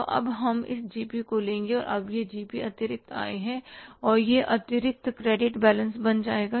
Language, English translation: Hindi, Now this GP is the income with the surplus and this surplus will become the credit balance